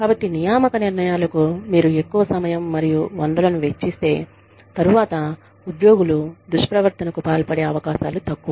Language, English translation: Telugu, So, the more time and resources, you spend on the hiring decisions, the lesser the chances of employees, engaging in misconduct, later